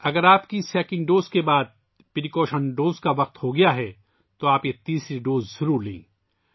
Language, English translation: Urdu, If it is time for a precaution dose after your second dose, then you must take this third dose